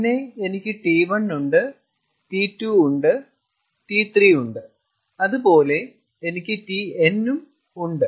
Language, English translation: Malayalam, ok, and then i have t one, i have t two, i have t three, i have tn, and so on